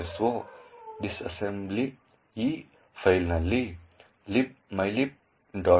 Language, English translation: Kannada, so disassembly is present in this file libmylib